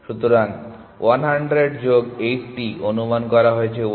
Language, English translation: Bengali, So, 100 plus 80 is estimated to be 180